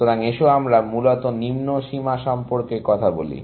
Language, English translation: Bengali, So, let us talk about lower bounds, essentially